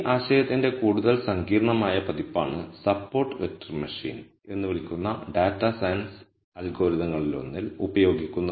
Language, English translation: Malayalam, A more sophisticated version of this idea is what is used in one of the data science algorithms called support vector machine